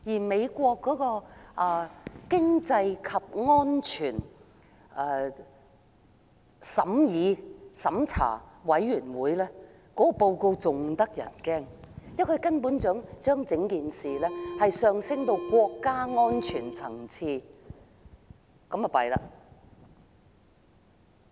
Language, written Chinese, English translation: Cantonese, 美中經濟與安全審查委員會的報告更加嚇人，因為它把事情提升至國家安全層次，這下可慘了！, The report of the United States - China Economic and Security Review Commission is even more terrifying as it has elevated the amendment to the level of national security . My goodness!